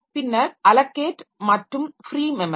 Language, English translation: Tamil, Then allocate and free memory